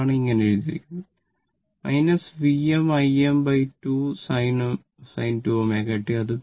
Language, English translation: Malayalam, That is why, it is written minus V m I m by 2 sin 2 omega t